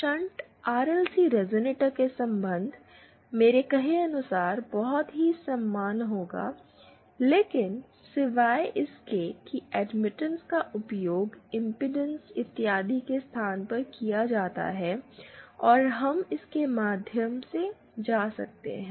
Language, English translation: Hindi, And the relations for a shunt RLC resonator, will have very similar as I said but except that admittances are used in place of impedance and so on and we can go through it